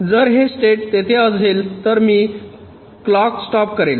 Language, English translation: Marathi, if this state is there, then i will stop the clock